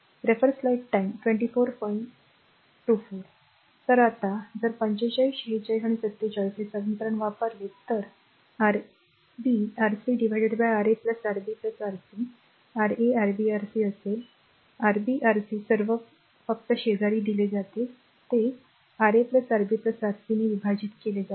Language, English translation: Marathi, So, if you now if you use equation 45 46 and 47; so, R 1 will be Rb Rc by Ra plus Rb plus Rc; Ra Rb Rc all are given right just you by adjacent then product divided by Ra plus Rb plus Rc that is all right